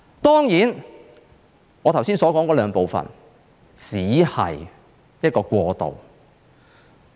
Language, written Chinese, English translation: Cantonese, 當然，我剛才所說的兩部分只是一個過渡。, Certainly the two parts that I just said will only serve as a transition